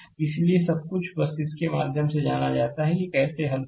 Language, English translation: Hindi, So, everything is written for you just yougo through it that how you solve